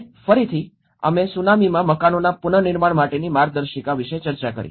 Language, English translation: Gujarati, And again, we did discussed about the guidelines for reconstruction of houses in tsunami